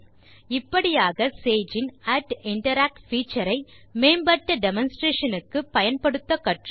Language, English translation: Tamil, Thus, we have learnt how to use the @interact feature of SAGE for better demonstration